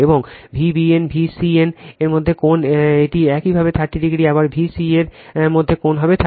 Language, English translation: Bengali, And angle between V b n and V b c, it is your 30 degree again and angle between V c a will be 30 degree